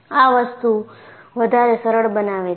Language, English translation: Gujarati, It makes my life lot more simple